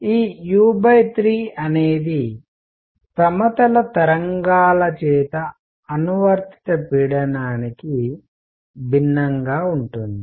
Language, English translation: Telugu, This u by 3 is different from the pressure applied by plane waves